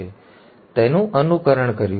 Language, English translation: Gujarati, We have simulated it